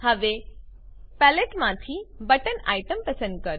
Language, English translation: Gujarati, Now from the palette select the Button item